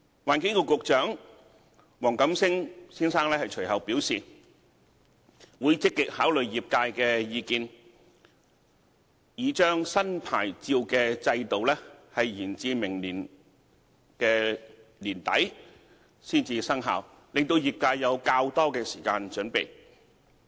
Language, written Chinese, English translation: Cantonese, 環境局局長黃錦星先生隨後表示會積極考慮業界的意見，擬將新牌照制度延至明年年底才生效，令業界有較多時間準備。, Subsequently Secretary for the Environment WONG Kam - sing indicated that he would actively consider the views of the trade with the intention of deferring the commencement of the new licensing regime to the end of next year to allow more time for preparation by the trade